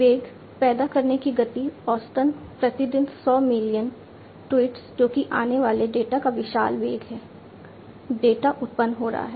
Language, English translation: Hindi, Velocity, speed of generation, 100s of millions of tweets per day on average that is you know, huge velocity of data coming in, data getting generated